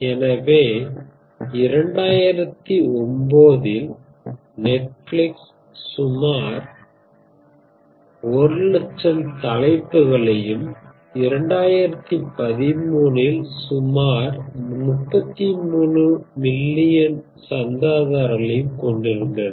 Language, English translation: Tamil, So what are the numbers, in 2009, Netflix had about a 100000 titles and in 2013 about 33 million subscribers ok